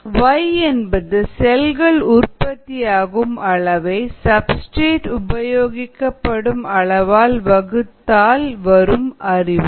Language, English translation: Tamil, let us recall that y, x, s is the amount of cells produced divided by the amount of substrate consumed